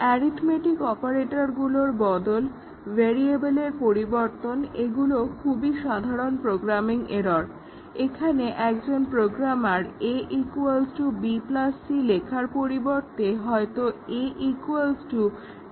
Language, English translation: Bengali, Replacement of arithmetic operators, replacement of a variable, this is also a common programming error where a programmer instead of writing a is equal to b plus c possibly wrote a is equal to d plus c